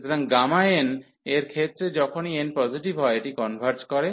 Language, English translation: Bengali, So, in case of this gamma n whenever n is positive, this converges